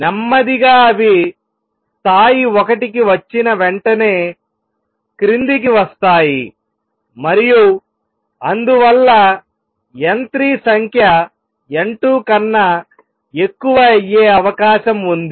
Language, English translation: Telugu, As slowly they come down as soon as they come down to level one and therefore, there is a possibility that number n 3 would become greater than n 2